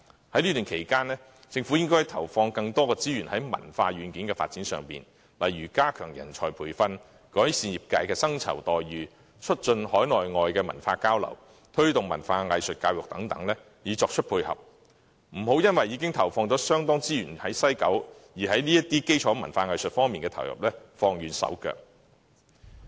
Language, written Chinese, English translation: Cantonese, 在這段期間，政府應該投放更多資源於文化軟件發展，例如加強人才培訓、改善業界薪酬待遇、促進海內外文化交流，以及推動文化藝術教育等以作配合，不要因為已經投放了相當資源在西九文化區，便在基礎文化藝術的投入上放慢手腳。, Meanwhile the Government should allocate extra resources on the development of cultural software for instance enhancement of talent development improvement of remunerations in the sector promotion of cultural exchange within and without the territory and promotion of cultural and arts education as auxiliary measures . The Government should not hesitate to invest on foundational culture and arts after allocating a considerable amount of resources to WKCD